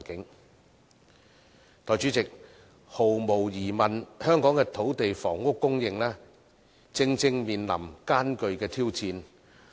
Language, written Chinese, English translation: Cantonese, 代理主席，毫無疑問，香港的土地和房屋供應正面臨艱巨挑戰。, Deputy President Hong Kong undoubtedly faces formidable challenges in terms of land and housing supply